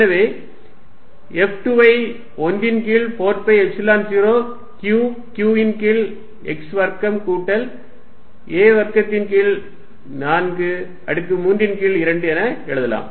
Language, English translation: Tamil, Then force F1 if you got out of 1 over 4 pi epsilon 0 q q over x square plus a square by 4 raise to 3 by 2 x x minus a by 2 y